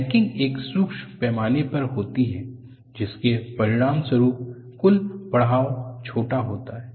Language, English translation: Hindi, The necking takes place at a micro scale, and the resulting total elongation is small